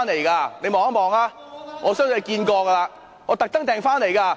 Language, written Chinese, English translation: Cantonese, 請你看一看，我相信你看過了，我特地訂購的。, Please take a look . I think you have seen it . It is a special order